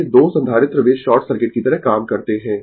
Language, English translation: Hindi, These 2 capacitor they act like a short circuit right